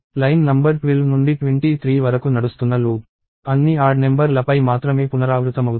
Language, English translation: Telugu, So, the loop running from line number 12 to 23 is only iterating over all the odd numbers